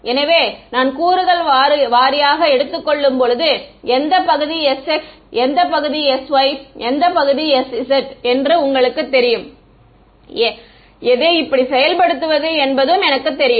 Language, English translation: Tamil, So, when I take the component wise you know which part is s x which part is s y which part is s z I know how to implement this ok